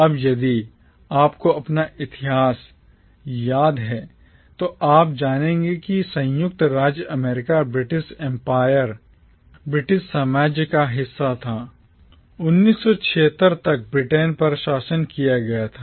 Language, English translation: Hindi, Now if you remember your history, you will know that the United States of America was part of the British empire, was ruled from Britain till 1776